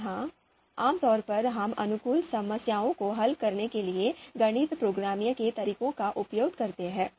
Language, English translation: Hindi, Here typically, you know we use you know methods of mathematical programming to solve optimization problems